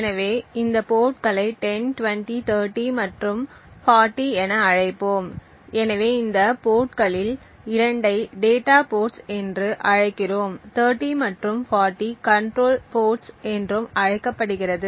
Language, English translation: Tamil, So, let us call these ports as 10, 20, 30 and 40, so we call 2 of these ports as the data ports, so it is called data ports and 30 and 40 as the control ports